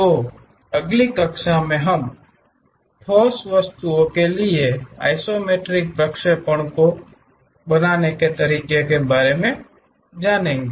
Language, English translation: Hindi, And, in the next class, we will learn about how to do these isometric projections for solid objects